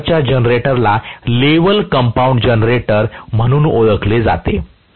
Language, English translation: Marathi, That kind of a generator is known as level compounded generator